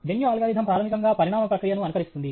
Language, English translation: Telugu, Genetic algorithm basically mimics the process of evolution